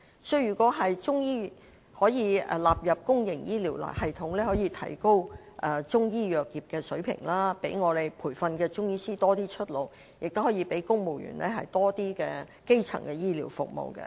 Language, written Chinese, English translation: Cantonese, 所以，如果中醫藥可以納入公營醫療系統，除了可提高中醫藥業的水平，讓受培訓的中醫師有較多出路外，亦可讓公務員有較多基層的醫療服務。, Hence if Chinese medicine can be incorporated into the public health care system while the standard of Chinese medicine industry can be enhanced and Chinese medicine practitioners can have better career prospects civil servants can also enjoy more primary health care services